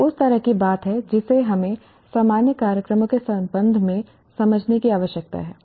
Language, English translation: Hindi, That's the kind of thing that we need to understand with regard to general programs